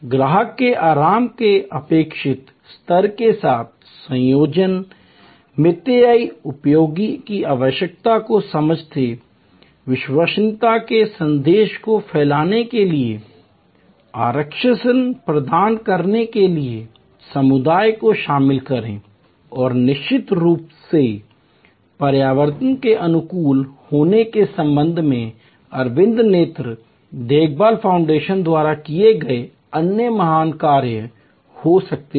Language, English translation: Hindi, Understand the need of combining, frugal utility with requisite level of customer comfort, involve the community to provide assurance to spread the message of reliability and of course, there are other great things done by Aravind eye care foundation with respect to eco friendly may be I will discuss that at a later date